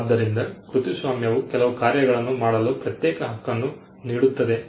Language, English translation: Kannada, So, a copyright would confer an exclusive right to do certain set of things